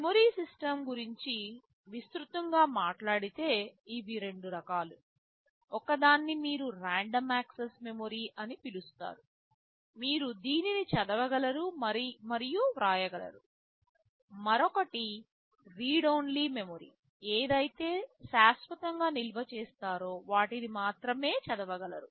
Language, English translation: Telugu, Talking about the memory system broadly speaking there can be two kinds of memory; one which is called random access memory where you can both read and write, and the other is read only memory when you store something permanently you can only read from them